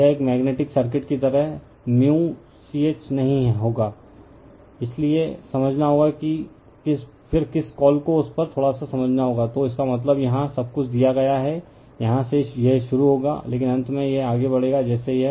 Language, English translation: Hindi, This did not much we will just as is a magnetic circuit, so you have to explain, then you have to your what you call little bit understand on that, so that means, everything is given here, that from here it will start, but finally, it will move like this right